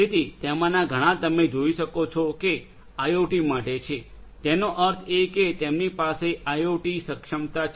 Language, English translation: Gujarati, So, many of them as you can see are applicable for IoT; that means they have IoT enablement